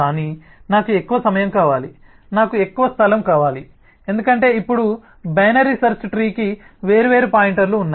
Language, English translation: Telugu, rather i need more space, because now the binary search tree has different pointers to manage and so on